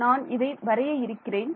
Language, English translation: Tamil, So, I will draw this here